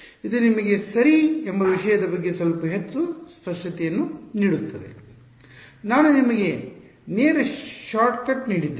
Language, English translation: Kannada, It will give you a little bit more clarity on the thing ok; I have given you the direct shortcut